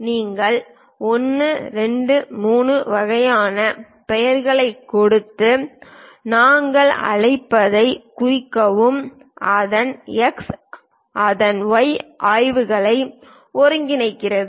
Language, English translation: Tamil, You just give the name 1, 2, 3 kind of names, tag what we call and its X coordinates its Y coordinates